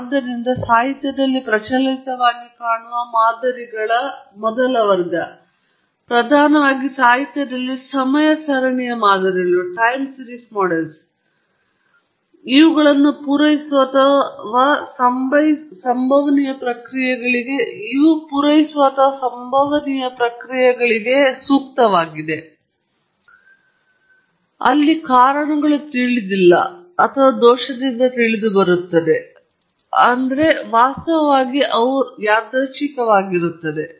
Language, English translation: Kannada, So, the first class of models that one would see prevalently in the literature, predominantly in the literature is a time series models, which cater or which are suited for stochastic processes, where the causes are either unknown or known with error; that is, they are actually random themselves